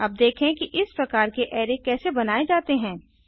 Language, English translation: Hindi, Let us see how to create such array